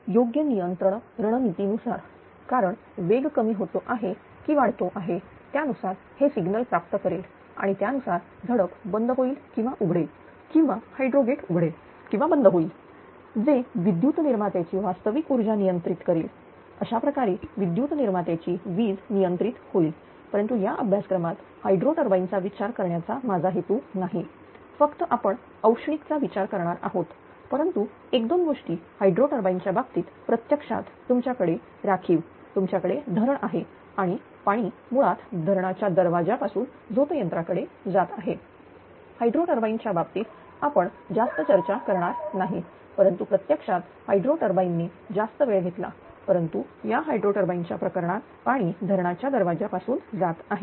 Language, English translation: Marathi, In the accordance with the suitable control strategy because whether speed is decreasing increasing according to that it will receive the signal and according to that valve will be closing or opening or hydro gates for hydropower plant it will open or close right which intellectually controls the real power output of the electric generator, this way electric ah output of electric generator will be controlled course, but in this course I have no interesting to consider the hydro turbine right only thermal one, we will consider, but one or two things regarding hydro turbine actually in hydro turbine that you have a reservoir right you have a dam you have a reservoir and basically water ah your traveling to the penstock to the turbine